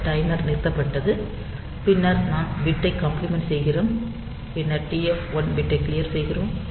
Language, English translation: Tamil, So, this timer is this timer is stopped, then we are complimenting the bit then we are clearing the TF 1 bit